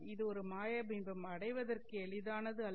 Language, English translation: Tamil, This was a magic figure to achieve